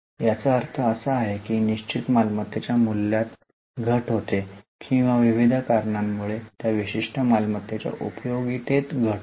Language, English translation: Marathi, What it means is it is a reduction in the value of fixed asset or it is reduction in the utility of that particular asset due to variety of reasons